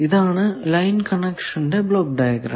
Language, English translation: Malayalam, Now, this is block diagram of line connection